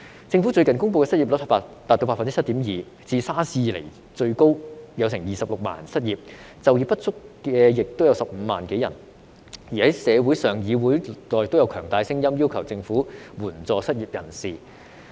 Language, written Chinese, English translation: Cantonese, 政府最近公布的失業率達到 7.2%， 是自 SARS 以來最高的，有26萬人失業，就業不足有也15萬多人，而在社會上和議會內都有強大的聲音要求政府援助失業人士。, The Government recently announced that the unemployment rate was 7.2 % a record high since the SARS period; the number of unemployed was 260 000 and more than 150 000 were underemployed . There are strong voices in society and the Legislative Council demanding the Government to support the unemployed